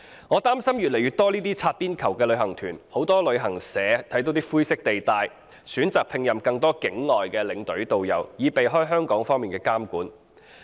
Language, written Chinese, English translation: Cantonese, 我擔心會出現越來越多這類"擦邊球"的旅行團，很多旅行社看見灰色地帶，選擇聘任更多境外領隊和導遊，以避開香港方面的監管。, I am afraid there will be an increasing number of such tour groups which play edge ball . Seeing the presence of grey areas travel agencies will appoint more non - local tour escorts and tourist guides so as to evade Hong Kong regulation